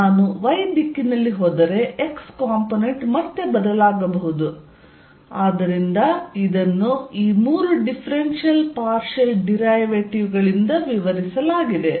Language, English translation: Kannada, If I go in the y direction E x component may again change, so that is described by these three differential partial derivatives